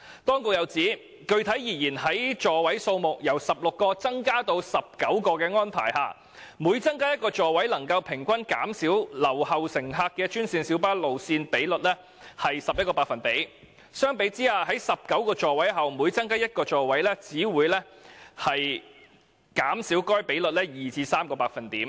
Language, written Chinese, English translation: Cantonese, "政府又指出："具體而言，在座位數目由16個增加至19個的安排下，每增加一個座位能平均減少留後乘客的專線小巴路線比率11個百分點，相比之下，在19個座位後每增加一個座位，只會減少該比率2至3個百分點。, In addition the Government pointed out that [s]pecifically as compared with each seat increased from 16 to 19 seats which could reduce the ratio of GMB routes with left - behind passengers by an average of 11 percentage points each seat increased beyond 19 seats would only reduce such ratio by 2 to 3 percentage points